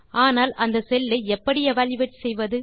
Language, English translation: Tamil, but how do we evaluate that cell